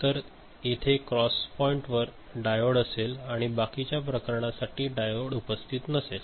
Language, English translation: Marathi, So, here there is a, in the cross point, diode is there right and rest of the cases no diode is present